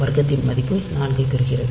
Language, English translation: Tamil, So, it gets the square value 4